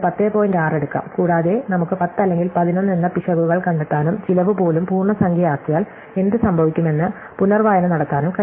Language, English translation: Malayalam, 6 and we can look for the nearest integer 10 or a 11 and reevaluate what happens to the cost, if we make it even integer